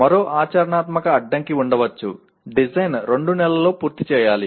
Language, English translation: Telugu, There can be another practical constraint the design should be completed within two months